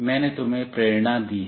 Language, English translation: Hindi, I have given you the motivation